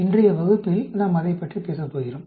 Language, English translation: Tamil, And that is what we are going to talk about in today’s class